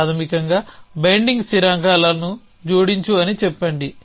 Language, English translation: Telugu, So, basically say add of binding constants